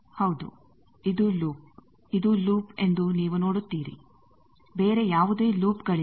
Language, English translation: Kannada, Yes, this is the loop, you see this is the loop there are no other loops